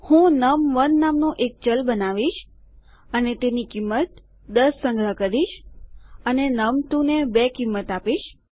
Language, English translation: Gujarati, Ill create a variable called num1 and Ill save that as value equal to 10 and num2 is equal to 2